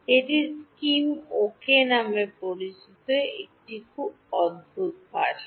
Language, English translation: Bengali, It is a very peculiar language called Scheme ok